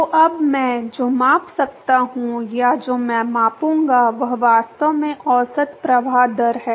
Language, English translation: Hindi, So, now, what I can measure or what I would measure is actually the average flow rate